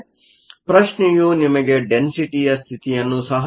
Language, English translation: Kannada, So, the question also gives you the density of states